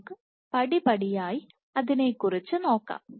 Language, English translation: Malayalam, Let us go step by step